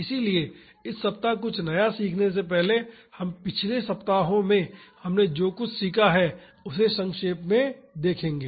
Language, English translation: Hindi, So, before learning something new this week, we would briefly revise what we have learnt in the previous weeks